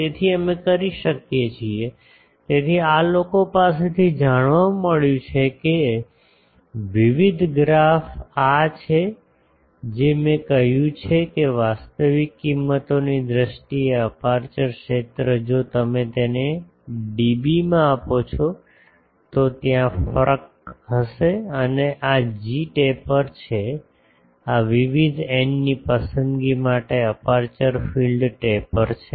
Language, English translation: Gujarati, So, we can; so, from this people have found out that various graphs this this whatever I have said that aperture field in terms of actual values if you give it in dB then there will be difference and this is the g taper, this is the aperture field taper for various choice of n ok